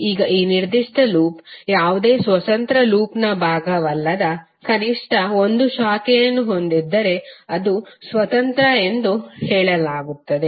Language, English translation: Kannada, Now this particular loop is said to be independent if it contains at least one branch which is not part of any other independent loop